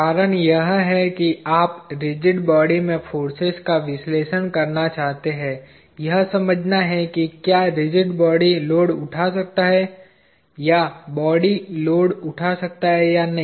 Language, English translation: Hindi, The reason why you would want to have an analysis of the forces within the rigid body, is to understand whether the rigid body can take, or the body can take the load or not